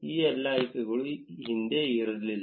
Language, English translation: Kannada, All of these options were not present earlier